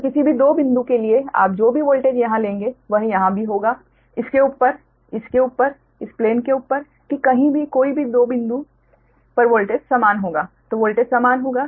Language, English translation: Hindi, so for any two points you take, whatever the voltage will be here, here, also, this thing above this, above this plane, that anywhere, any two point, the voltage will same point